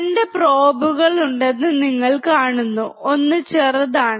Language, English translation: Malayalam, You see there are 2 probes: one is longer; one is shorter